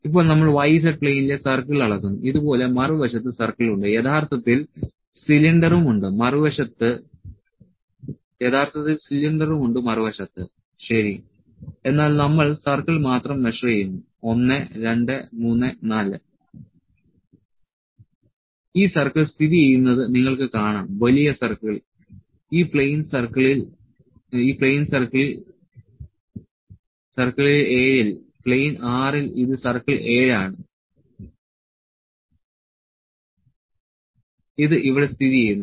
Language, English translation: Malayalam, Now, we are measuring the circle on the y z plane there are circle on the other side like this actually cylinder on the other side as well, ok, but we are just measuring the circle 1, 2 3, 4 So, you can see this circle is located big circle, on this plane circle 7, on plane 6 this is plane 6 is circle 7 this is located here